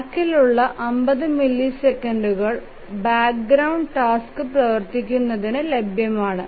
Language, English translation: Malayalam, So, the rest of the 50 millisecond is available for the background task to run